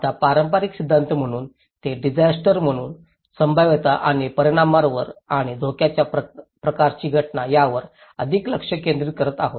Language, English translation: Marathi, Now, as the conventional theory, they are focusing more on the probability and consequence and hazard kind of event as disaster